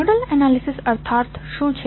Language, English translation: Gujarati, What do you mean by nodal analysis